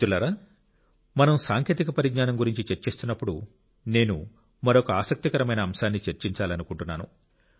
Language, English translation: Telugu, Friends, while we are discussing technology I want to discuss of an interesting subject